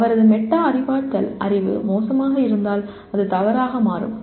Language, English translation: Tamil, If his metacognitive knowledge is poor it will turn out to be wrong